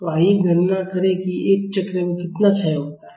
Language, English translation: Hindi, So, let us calculate how much is the decay in one cycle